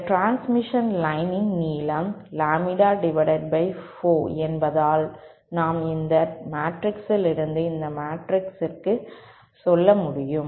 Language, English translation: Tamil, And since the length of this transmission line is lambda by 4, so we should be able to deduce from this matrix go from this matrix to this matrix